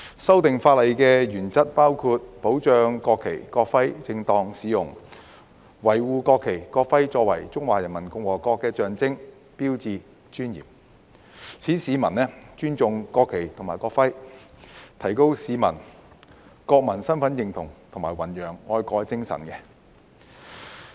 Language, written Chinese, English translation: Cantonese, 修訂法例的原則包括保障國旗及國徽的正當使用，維護國旗及國徽作為中華人民共和國的象徵和標誌的尊嚴，使市民尊重國旗及國徽，提高市民的國民身份認同感和弘揚愛國精神。, The principle of the legislative amendments is to among others safeguard the proper use and preserve the dignity of the national flag and national emblem which are the symbols and signs of our country so as to promote respect for the national flag and national emblem enhance the sense of national identity among citizens and promote patriotism